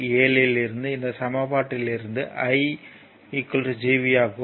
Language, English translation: Tamil, 7, if these equation i is equal to Gv from this equation, right